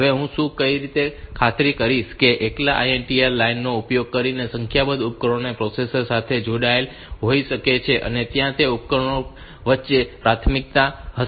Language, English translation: Gujarati, Now, how can I ensure that a number of devices may be connected to the processor using the INTR line alone and there will be priorities among the devices